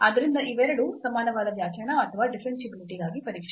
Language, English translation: Kannada, So, the both are equivalent definition or testing for differentiability